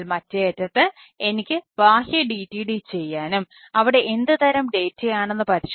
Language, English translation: Malayalam, so at the other end i can, i can do external d t d and check it, that what sort of data